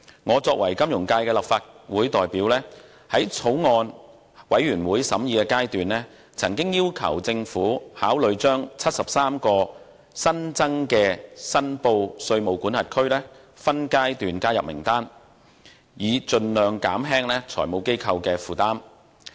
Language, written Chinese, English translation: Cantonese, 我作為金融界在立法會的代表，在法案委員會的審議階段，曾要求政府考慮將73個新增的申報稅務管轄區，分階段加入名單，以盡量減輕財務機構的負擔。, As a representative of the financial sector in the Legislative Council I have at the Bills Committee stage requested the Government to consider including the 73 newly added reportable jurisdictions in the list by phases so as to minimize the burden on FIs